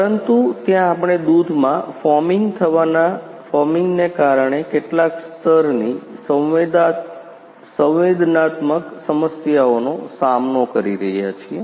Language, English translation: Gujarati, But there we are facing some level sensing problems due to foaming of a foaming of a foaming happen in the milk